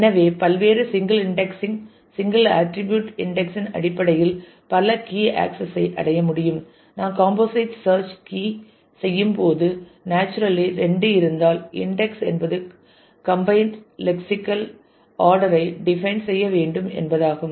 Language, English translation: Tamil, So, multiple key access could be achieved in terms of various single indexing single attribute indexing also; When we are doing composite search keys then naturally if there are 2 then the indexing means that you will have to define a combined lexical order